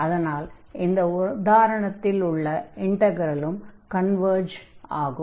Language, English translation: Tamil, So, in that case the other integral will also converge